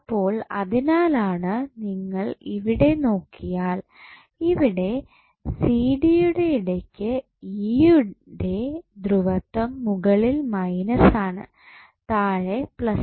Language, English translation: Malayalam, So, that is why if you see here, it between CD the polarity of E is of minus is on the top and plus is on the bottom